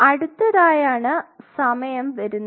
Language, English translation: Malayalam, Next thing which comes is time